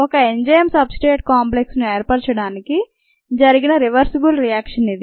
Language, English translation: Telugu, this is the reversible reaction to form an enzyme substrate complex and this reaction is fast